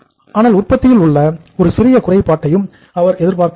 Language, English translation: Tamil, But he does not expect any even iota of the defect in the product